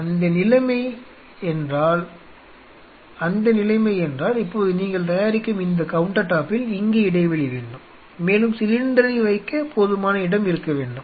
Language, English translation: Tamil, Now in that case this counter you are making it will be discontinuous out here and there should be enough space to keep the cylinder